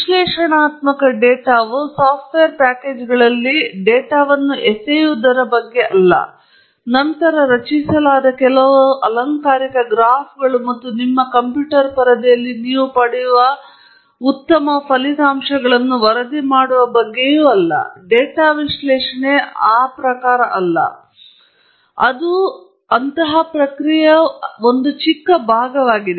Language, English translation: Kannada, And one should remember that analyzing data is not just about throwing data into the software packages, and then, reporting some of the fancy graphs that are generated and some nice results that you get on your computer screen that is not data analysis; it’s just a very tiny part of that exercise